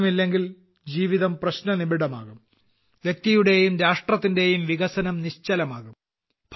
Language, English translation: Malayalam, Without water life is always in a crisis… the development of the individual and the country also comes to a standstill